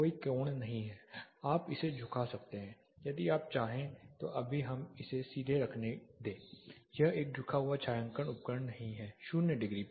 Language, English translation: Hindi, There is no angle you can tilt it, if you want right now let us just keep it straight it is not a tilted shading device 0 degrees